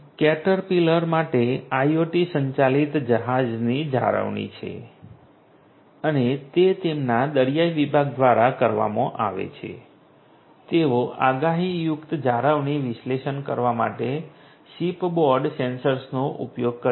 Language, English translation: Gujarati, Caterpillar has the IoT driven ship maintenance and that is done by their marine division they use the ship board sensors to perform predictive maintenance analytics